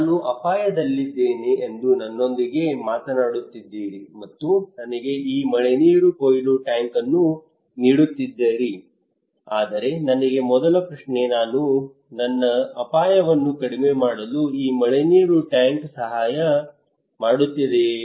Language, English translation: Kannada, You are talking to me that I am at risk and offering me this rainwater harvesting tank, but the first question came to me okay even if I am at risk, will this rainwater tank will help me to reduce my risk